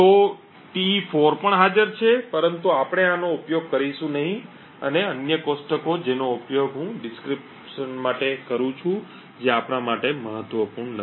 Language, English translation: Gujarati, So, Te4 is also present but we will not be using this and the other tables I use for decryption which is not going to be important for us